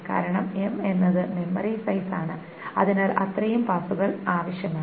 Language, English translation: Malayalam, Because that's the, m is the memory size, so that many passes are required